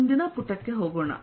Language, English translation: Kannada, lets go to the next page